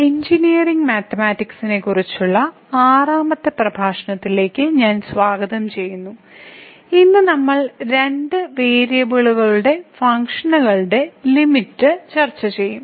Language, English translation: Malayalam, I welcome to the 6th lecture on Engineering Mathematics I and today, we will discuss Limit of Functions of Two variables